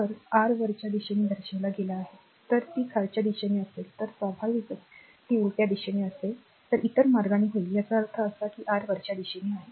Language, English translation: Marathi, So, this is actually your upward direction is shown, if it is downward direction then naturally it will be reversal direction will be in other way so, this is the meaning that your upward